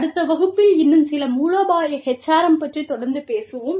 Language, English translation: Tamil, And, we will continue with, some more strategic HRM, in the next class